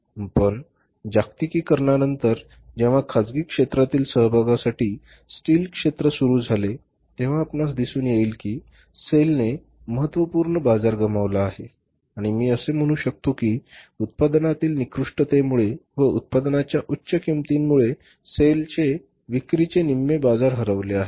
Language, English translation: Marathi, But after the globalization, when the steel sector was opened for the private sector participation you see that sale has lost its significant market and I can say that half of the market of the sale is has been lost because of the poor quality of the product and very high cost of the product